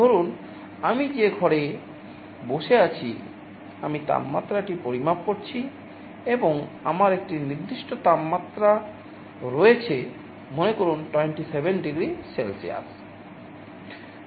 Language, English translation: Bengali, Suppose in a room where I am sitting, I am measuring the temperature and I have a set temperature, let us say 27 degree Celsius